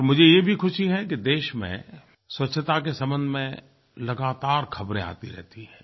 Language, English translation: Hindi, I am very happy that a lot of news stories related to cleanliness keep appearing in the media space